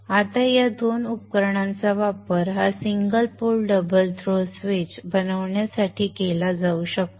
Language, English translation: Marathi, Now these two devices can be used to make up this single pole double throw switch